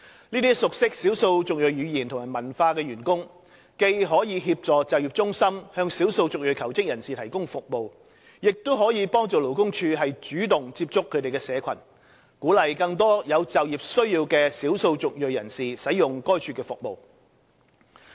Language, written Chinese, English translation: Cantonese, 這些熟悉少數族裔語言及文化的員工既可協助就業中心向少數族裔求職人士提供服務，亦可幫助勞工處主動接觸他們的社群，鼓勵更多有就業需要的少數族裔人士使用該處的服務。, Such staff conversant with ethnic minority languages and cultures can assist job centres in providing services for ethnic minority job seekers . They can also help LD proactively reach out to ethnic minority communities and encourage more ethnic minorities with employment needs to make use of LDs services